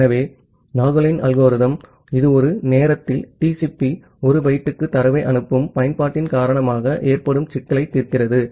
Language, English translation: Tamil, So, the Nagle’s algorithm it solves the problem caused by the sending application delivering data to TCP 1 byte at a time